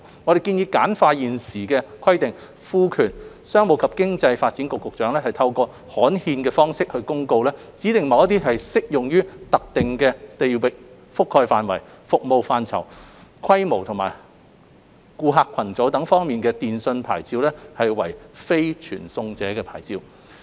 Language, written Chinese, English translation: Cantonese, 我們建議簡化現行規定，賦權商務及經濟發展局局長透過刊憲方式作公告，指定某些適用於特定地域覆蓋範圍、服務範疇、規模或顧客群組等方面的電訊牌照為非傳送者牌照。, We propose to simplify the existing requirements by empowering the Secretary for Commerce and Economic Development to specify by notice published in the Gazette certain telecommunications licences with designated geographical coverage scope scale or customer base of the service as non - carrier licences